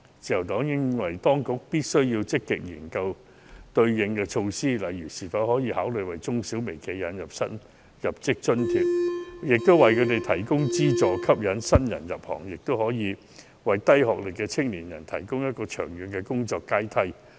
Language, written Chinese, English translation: Cantonese, 自由黨認為當局必須積極研究對策，例如可否考慮為中小微企引入新入職津貼，為他們提供資助，吸引新人入行，亦可以為低學歷的青年人提供長遠的工作階梯。, The Liberal Party holds that the Government should actively deal with these problems by say providing MSMEs with allowances to attract new blood . It is also a way to provide young people with low education attainment with a long - term employment pathway